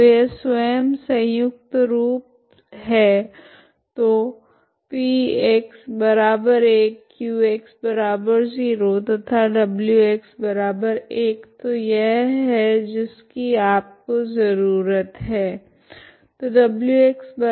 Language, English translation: Hindi, So this is in the self adjoint form so P x is 1, q x is 0, w x equal to 1, so this is what you need